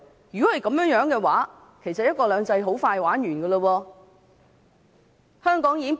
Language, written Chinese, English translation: Cantonese, 如果是這樣的話，"一國兩制"很快便會完結。, If that is so one country two systems will be doomed very soon